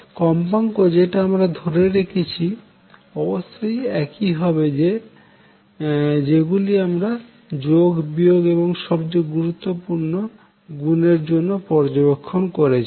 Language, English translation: Bengali, The frequency is that I keep should be the same as those that I observe addition and subtraction are taken care of more important is multiplication